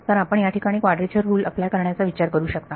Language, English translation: Marathi, So you can think of applying quadrature rule over here